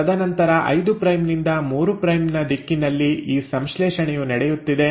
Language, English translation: Kannada, And then this synthesis is happening in the 5 prime to the 3 prime direction